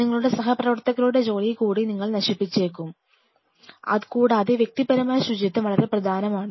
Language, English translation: Malayalam, Because you may spoil the work of your colleagues, apart from it the personal hygiene is very important